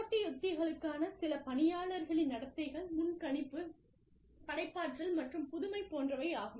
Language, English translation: Tamil, Some employee role behaviors, for competitive strategies are, predictability versus creativity and innovation